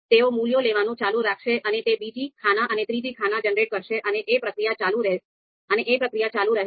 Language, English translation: Gujarati, They will keep on taking and it will generate the second column and third column and and and so on so forth